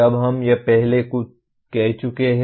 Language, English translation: Hindi, Now, we have stated this earlier